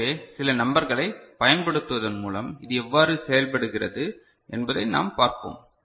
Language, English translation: Tamil, So, let us see how you know it works out with using some numbers